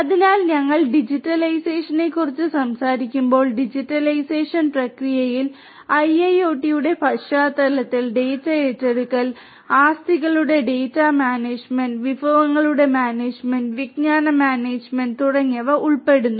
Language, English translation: Malayalam, So, when we talk about digitization, so you know the digitization process involves acquisition of the data in the context of IIoT, acquisition of data management of assets, management of resources, knowledge management and so on